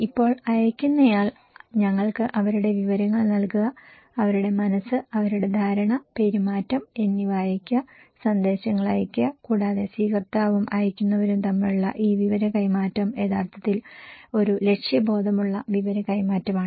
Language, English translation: Malayalam, Now sender send us their, send informations, message to the receivers in order to change their mind, their perception and their behaviour and this exchange of informations between receiver and senders is actually a purposeful exchange of information